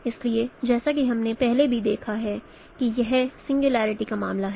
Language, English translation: Hindi, So as we have seen earlier also that actually this is a case of singularity